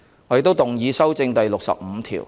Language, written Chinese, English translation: Cantonese, 我亦動議修正第65條。, I also move that clause 65 be amended